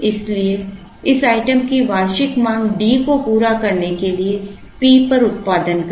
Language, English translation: Hindi, So, produce at P to meet the annual demand of this item D